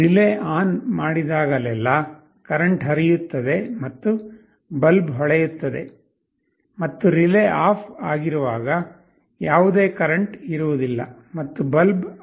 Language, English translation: Kannada, Whenever the relay is turned ON, there will be a current flowing and the bulb will glow; and when the relay is OFF, there will be no current and the bulb will be turned off